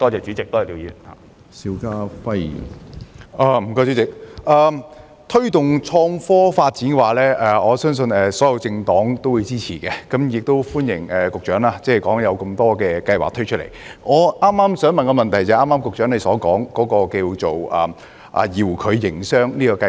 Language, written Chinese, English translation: Cantonese, 主席，我相信所有政黨皆支持推動創科發展，我亦對局長剛才列舉的多項計劃表示歡迎，而我的補充質詢正是有關局長剛才提到的遙距營商計劃。, President I believe all political parties support the promotion of IT development . I also welcome the various programmes outlined by the Secretary just now and my supplementary question is precisely concerned with D - Biz mentioned by the Secretary earlier